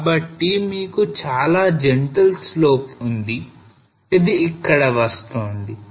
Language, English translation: Telugu, So you have a very gentle slope which is coming up here